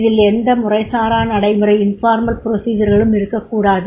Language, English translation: Tamil, There should not be informal procedures